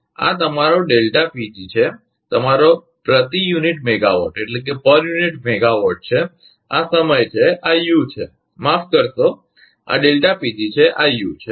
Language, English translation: Gujarati, And this is your delta PG and your per unit megawatt, this is time and this is U, sorry; this is delta PG and this is U